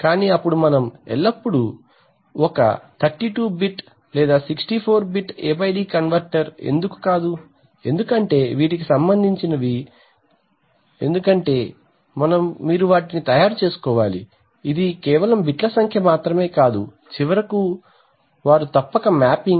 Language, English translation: Telugu, But then we can always make an A/D converter of 32 bit, 64 bit why not, because these are related to, because you have to make them, it is not just the number of bits, finally the, they must represent that that mapping that one represents 0